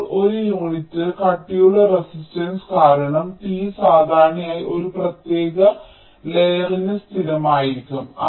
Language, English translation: Malayalam, now resistance per unit thickness, because t is usually constant for a particular layer